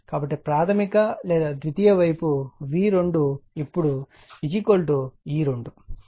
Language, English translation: Telugu, So, your primary or your secondary side my V 2 now is equal to E 2, right my V 2 is equal V 2 is equal to E 2, right